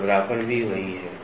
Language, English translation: Hindi, Roughness also it is the same